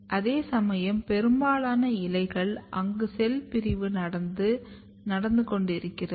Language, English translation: Tamil, Whereas, most of the leaf they are having cell division or proliferation activity going on